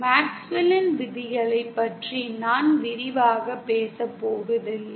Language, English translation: Tamil, I am not going to go into detail about MaxwellÕs laws